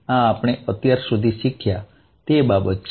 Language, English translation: Gujarati, So, this is what we learnt so far